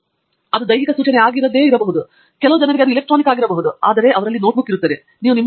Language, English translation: Kannada, It may not be a physical note these days, it might be electronic for some people, but there is those notebook and it is irreplaceable